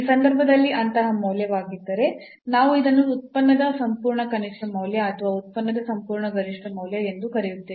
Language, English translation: Kannada, So, in that case if such a value we will call that we will call that this is the absolute minimum value of the function or the absolute maximum value of the function